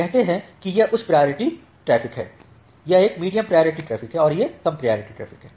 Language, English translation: Hindi, Say this is a high priority traffic, this is a medium priority traffic and this is the low priority traffic